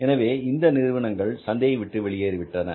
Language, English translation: Tamil, So means they have left the market, they have gone out of the market